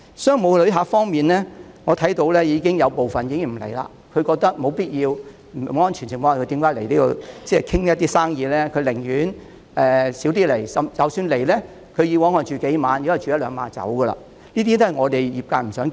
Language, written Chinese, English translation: Cantonese, 商務旅客方面，我看到有部分旅客已經不來港，他們認為沒有必要在不安全的情況下來港洽談生意，寧願減少來港，而以往來港逗留數天的，現時也只會逗留一兩天。, As for business travellers I notice that some travellers have stopped coming to Hong Kong . They consider it unnecessary to come to Hong Kong for business meetings when the situation is not safe . They would rather reduce their frequency of visits and their length of stay and those who stay in Hong Kong for several days in the past will only stay for one or two days now